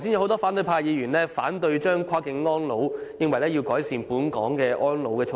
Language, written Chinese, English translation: Cantonese, 多位反對派議員剛才反對跨境安老，認為當局應先改善本港的安老措施。, Just now many opposition Members raised objection to cross - boundary elderly care . They think that the authorities should first improve elderly care measures in Hong Kong